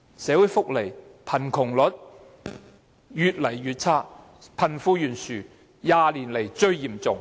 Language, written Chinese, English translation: Cantonese, 社會福利越來越差，貧富懸殊是20年來最嚴重。, Social welfare is worsening and the disparity between the rich and the poor is the most serious in the past 20 years